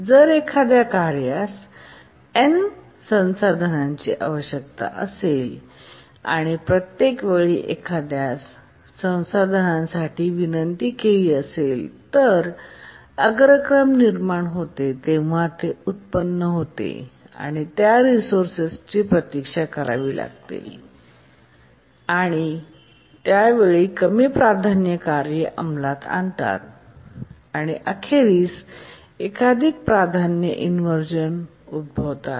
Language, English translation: Marathi, That is, if a task needs n resources, each time it requests for one of the resources, it undergoes inversion, waits for that resource, and by that time lower priority tasks execute and multiple priority inversions occur